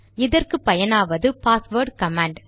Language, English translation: Tamil, For this we have the passwd command